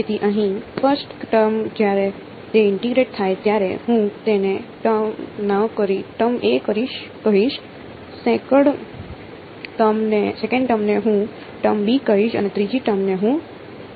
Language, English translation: Gujarati, So, the first term over here when that integrates I am going to call it term a, the second term I am going to call term b and the third term over here I am going to call term c ok